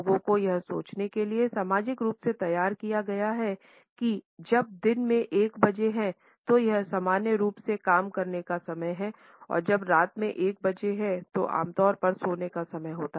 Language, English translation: Hindi, People have been socially conditioned to think that when it is1 PM it is normally the time to work and when it is 1 AM it is normally the time to sleep